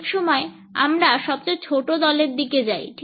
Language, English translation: Bengali, Often times, we go for the shortest team